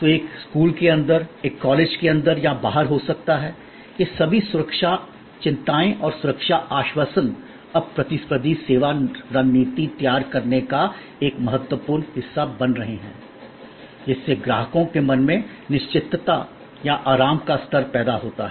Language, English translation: Hindi, So, it can happen inside a school, inside a college or outside, all these security concerns and the safety assurances are now becoming important part of designing a competitive service strategy, creating the level of certainty or comfort in the customers mind